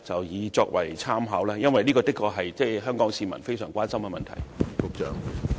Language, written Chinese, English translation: Cantonese, 因為這的確是香港市民非常關心的問題。, This is indeed a matter of great concern to Hong Kong people